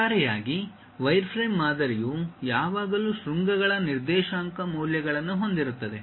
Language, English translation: Kannada, On overall, the wireframe model always consists of coordinate values of vertices